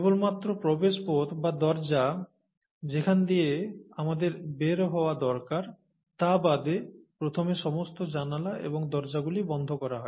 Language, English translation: Bengali, First all the windows and doors are sealed except the passage through, or the door through which we need to get out